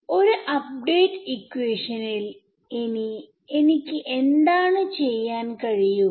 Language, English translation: Malayalam, And then what I can do is, in an update equation, what do I want